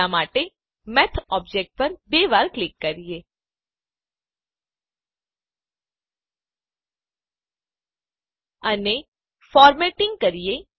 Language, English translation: Gujarati, For now, let us double click on the Math object And do the formatting